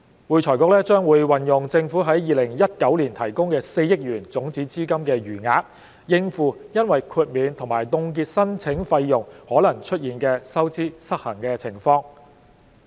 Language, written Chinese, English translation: Cantonese, 會財局將運用政府於2019年提供的4億元種子資金的餘額，應付因豁免及凍結申請費用可能出現的收支失衡情況。, The deficit of AFRC possibly resulted from the exemption and freeze on the application fees will be met by the unspent balance of the 400 million seed capital provided by the Government in 2019